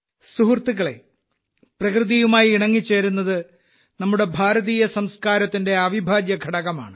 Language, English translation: Malayalam, Friends, in India harmony with nature has been an integral part of our culture